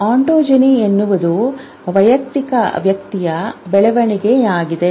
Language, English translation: Kannada, Entogeny is a development of individual person